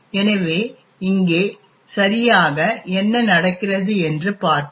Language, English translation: Tamil, So, we will go into what exactly happens over here